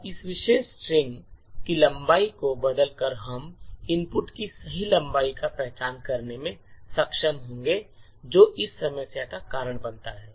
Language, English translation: Hindi, Now by changing the length of this particular string we would be able to identify the exact length of the input which causes this problem